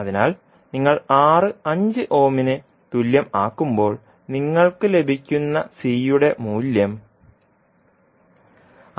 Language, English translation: Malayalam, So when you put R equal to 5ohm, the value of C you will get is 66